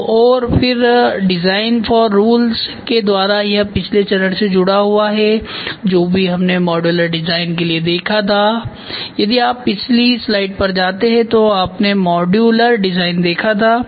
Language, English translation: Hindi, So, and then from design for rules it is attached to the previous phase I whatever we saw to the modular design if you go to the previous slide you saw modular design